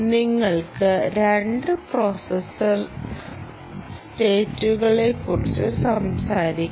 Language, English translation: Malayalam, basically, you will talk about two processor states, essentially